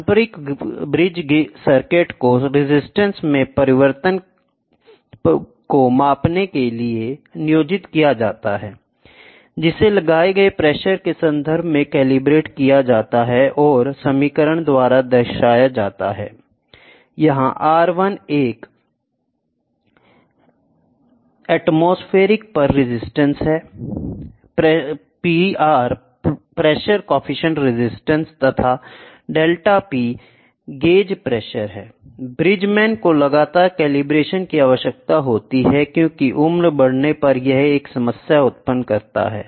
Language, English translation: Hindi, The conventional bridge circuits are employed for measuring the change in resistance, which is calibrated in terms of applied pressure which is given by the equation of this; by the Bridgman require frequent calibration as ageing is a problem, ok